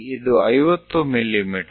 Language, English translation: Kannada, This is 20 mm